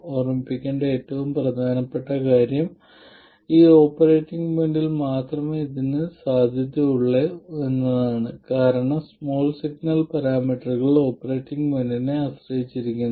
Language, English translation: Malayalam, The most important thing to remember is that it is valid only over this operating point because the small signal parameters depend on the operating point